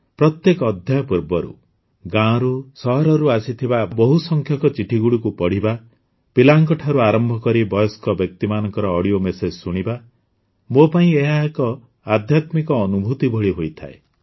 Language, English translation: Odia, Before every episode, reading letters from villages and cities, listening to audio messages from children to elders; it is like a spiritual experience for me